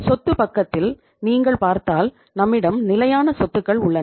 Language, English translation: Tamil, And in the asset side if you look at we have the fixed assets